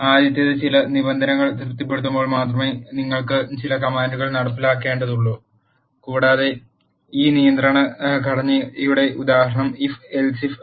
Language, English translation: Malayalam, The first one is where you need to execute certain commands only when certain conditions are satisfied and example of this control structure is if then else type of constructs